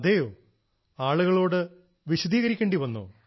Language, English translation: Malayalam, Okay…did you have to explain people